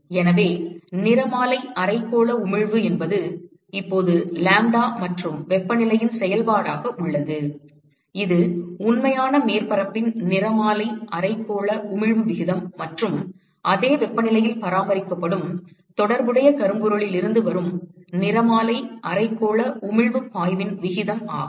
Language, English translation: Tamil, So, the spectral hemispherical emissivity is now a function of lambda and temperature so, that is the ratio of the spectral hemispherical emissivity of the real surface versus the spectral hemispherical emissive flux from the corresponding blackbody which is maintained at the same temperature